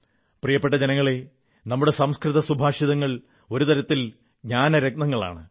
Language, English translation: Malayalam, My dear countrymen, our Sanskrit Subhashit, epigrammatic verses are, in a way, gems of wisdom